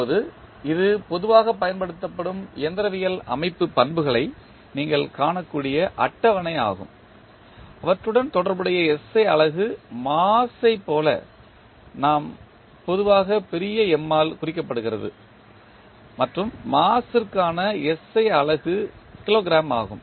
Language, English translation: Tamil, Now, you see this is the table where you can see the generally utilized mechanical system properties and their corresponding the SI unit which we take like mass is generally represented by capital M and the SI unit is Kilogram for the mass